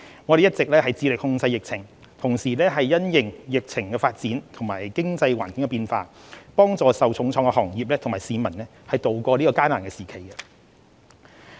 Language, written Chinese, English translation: Cantonese, 我們一直致力控制疫情，同時因應疫情發展及經濟環境的變化，幫助受重創的行業和市民渡過這艱難時期。, We have been committed to controlling the pandemic and at the same time endeavoured to help those hard - hit business sectors and citizens to tide over the difficult times having regard to the epidemic situation and changes in the economic environment